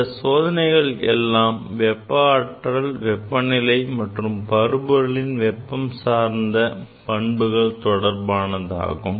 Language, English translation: Tamil, These are the experiments related to the temperature, related to the heat, related to the thermos properties of the matter